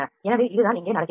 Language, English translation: Tamil, So, this is what happens here